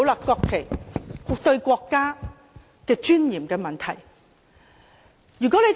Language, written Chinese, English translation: Cantonese, 國旗是國家尊嚴的問題。, The national flag is a matter of national dignity